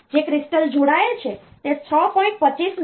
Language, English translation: Gujarati, So, the crystal that is connected is of 6